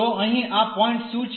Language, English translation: Gujarati, So, what is this point here